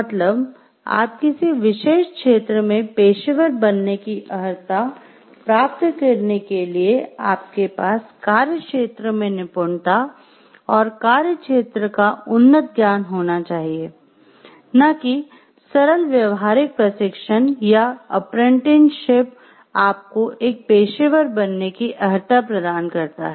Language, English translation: Hindi, So, you have to have mastery and advanced knowledge in the field before you can qualify to be a professional in a particular field and not simple practical training or apprenticeship is going to qualify you to be a professional